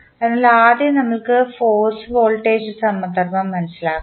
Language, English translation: Malayalam, So, let us first understand the force voltage analogy